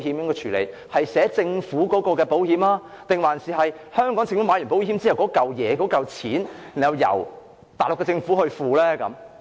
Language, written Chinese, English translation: Cantonese, 是視為香港政府投購的保險，還是香港政府投購保險後由內地政府支付保險費？, Shall they be regarded as policies taken out by the Hong Kong Government or will the Mainland Government pay the insurance premium after the policies are taken out by the Hong Kong Government?